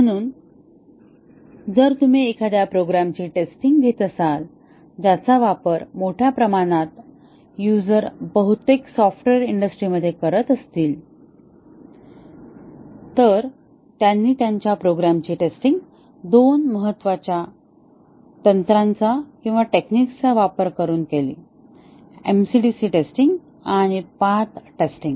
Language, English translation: Marathi, So, it is a good idea if you are testing a program which is going to be used by large number of users as most of the software industry, they test their program using two important techniques, the MCDC testing and the path testing